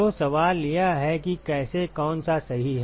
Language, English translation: Hindi, So, the question is how, which one is the correct one